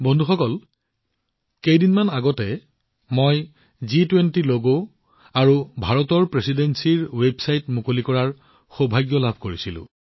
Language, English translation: Assamese, Friends, a few days ago I had the privilege of launching the G20 logo and the website of the Presidency of India